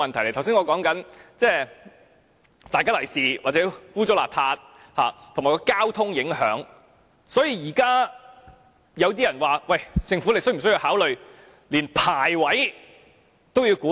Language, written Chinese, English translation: Cantonese, 我剛才所說的"大吉利是"或不清潔，以及交通的影響，現在有人說政府是否需要考慮連牌位都要規管。, Apart from my remarks that columbaria are inauspicious or unclean and affect traffic conditions some people have asked whether the Government needs to regulate memorial tablets as well